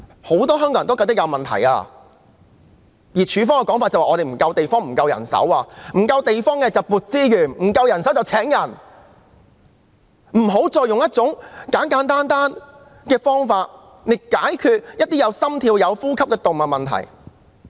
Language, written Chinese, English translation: Cantonese, 如果沒有足夠地方便應增撥資源，沒有足夠人手便應增聘人手，不要再用一種簡單的方法來解決一些還有心跳及呼吸的動物的問題。, If there is not enough space additional resources should be allocated and if there is not enough manpower additional staff should be recruited rather than continuing to adopt a simplistic solution in dealing with problems involving animals with heart beat and breath